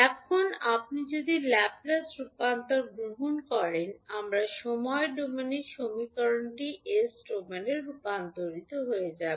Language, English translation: Bengali, Now, if you take the Laplace transform we get the time domain equation getting converted into s domain